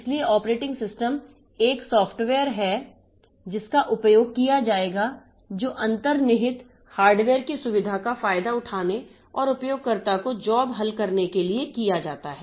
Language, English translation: Hindi, So, operating system is a piece of software which will be utilizing, which will be trying to exploit the feature of the underlying hardware and get the user jobs done